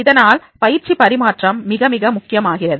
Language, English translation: Tamil, So therefore this transfer of training is becoming very, very important